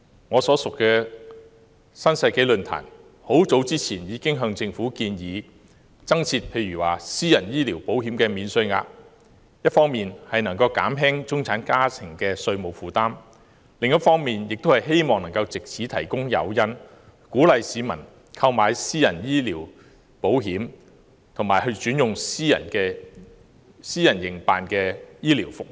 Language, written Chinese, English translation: Cantonese, 我所屬的新世紀論壇很早以前已向政府建議增設"私人醫療保險免稅額"，一方面可減輕中產家庭的稅務負擔，另一方面亦可藉此提供誘因鼓勵市民購買私人醫療保險，以及轉用私人營辦的醫療服務。, The New Century Forum to which I belong recommended the Government to introduce a private medical insurance allowance long ago . It can alleviate the tax burden of middle - class families on the one hand and provide on the other an incentive for members of the public to take out private health insurance and switch to health care services offered by the private sector